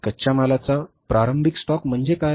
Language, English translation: Marathi, What is the opening stock of raw material